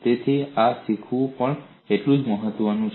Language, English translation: Gujarati, So learning this is equally important